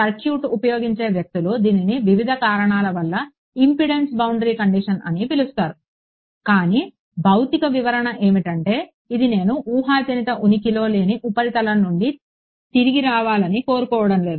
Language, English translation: Telugu, Circuit’s people call it impedance boundary condition for different reasons ok, but the physical interpretation is this I do not want to field to come back from a hypothetical non existence surface ok